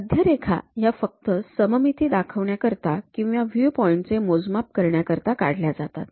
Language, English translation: Marathi, Center lines are drawn only for showing symmetry or for dimensioning point of view